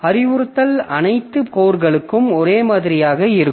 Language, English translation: Tamil, So, instruction is same for all the all the codes